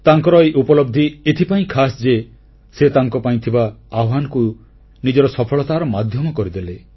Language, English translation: Odia, Her achievement is all the more special because she has made the imposing challenges in her life the key to her success